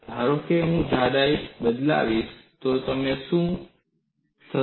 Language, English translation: Gujarati, Suppose I vary the thickness, what would happen